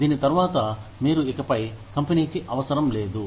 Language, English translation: Telugu, After which, you are no longer, required by the company